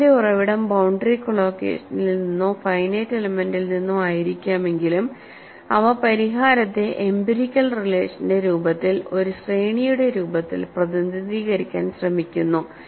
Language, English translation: Malayalam, Though the source of the result may be from boundary collocation or finite element, they tried to represent the solution in the form of empirical relation, in the form of a series